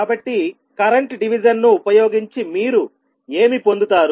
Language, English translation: Telugu, So, what you get using current division